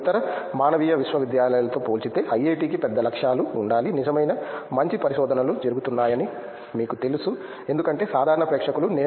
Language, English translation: Telugu, But IIT is a big targets compared to other humanities universities, you know were real good research happens because I do know the common crowd is more biased with science I guess